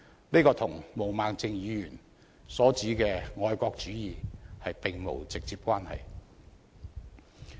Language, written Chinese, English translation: Cantonese, 這與毛孟靜議員所指的愛國主義並無直接關係。, This has no direct link with patriotism as suggested by Ms Claudia MO